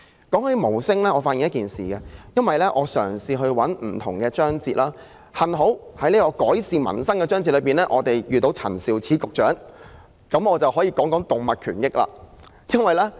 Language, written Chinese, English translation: Cantonese, 就無法為自己發聲方面，我曾翻閱各個章節，幸好改善民生的章節屬於陳肇始局長的職權範圍，我便可以談談動物權益的事宜。, Regarding those who are unable to speak up for themselves I went through all the chapters of the policy address . Fortunately the chapter on improving peoples livelihood is under the purview of the Secretary for Food and Health Prof Sophia CHAN and so I can talk about matters concerning animal rights